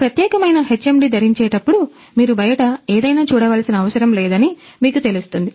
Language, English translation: Telugu, So, while wearing this particular HMD inside you can see that you know you do not have to see outside anything